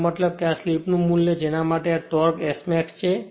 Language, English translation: Gujarati, So, this is the value of slip for which the torque is maximum